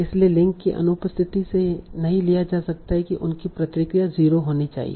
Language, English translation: Hindi, So absence of the link cannot be taken for that the response should be 0